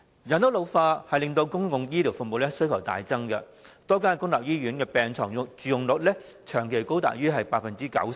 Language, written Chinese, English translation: Cantonese, 人口老化令公共醫療服務需求大增，多間公立醫院的病床佔用率長期高於 90%。, Population ageing has led to a substantial increase in the demand for public healthcare services . The bed occupancy rates of various public hospitals have stood at over 90 % for a long period